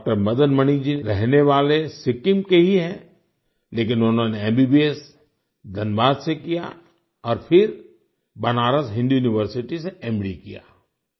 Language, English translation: Hindi, Madan Mani hails from Sikkim itself, but did his MBBS from Dhanbad and then did his MD from Banaras Hindu University